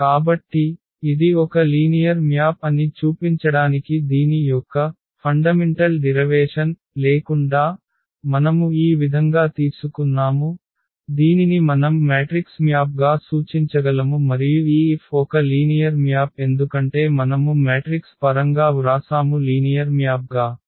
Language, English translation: Telugu, So, without that fundamental derivation of this to show that this is a linear map we have taken this way that this we can represent as a matrix map and therefore, this F is a linear map because we have written in terms of the matrix and matrixes are linear map